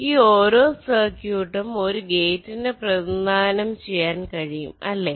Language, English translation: Malayalam, well, these, each of these circuits, can indicate a gate, right